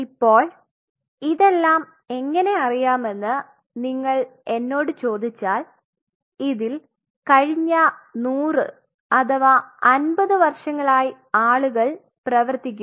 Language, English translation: Malayalam, Now, if you ask me that how all these things are known it is 100 years or last 56 years people are being working